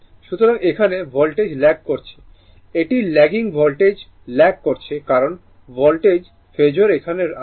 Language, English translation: Bengali, So, Voltage here it is lagging right it is lagging Voltage is lagging because Voltage Phasor is coming here